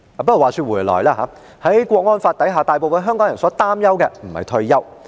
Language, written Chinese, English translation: Cantonese, 不過，話說回來，在《港區國安法》下，大部分香港人所擔憂的並非退休。, However after all under the National Security Law retirement is not the concern of most Hong Kong people